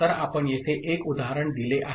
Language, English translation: Marathi, So, we have given an example here